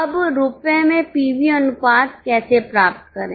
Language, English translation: Hindi, How to get PV ratio now in rupees